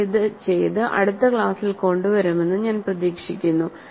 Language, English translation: Malayalam, I hope that you do it and bring it in the next class